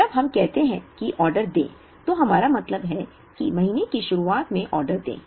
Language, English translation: Hindi, When we say place an order, we mean place an order at the beginning of the month